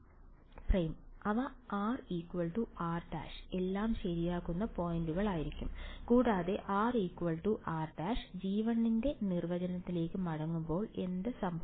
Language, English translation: Malayalam, They will be points where r is equal to r prime all right and when r is equal to r prime go back to the definition of g 1 what happens